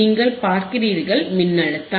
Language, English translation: Tamil, You see the voltage;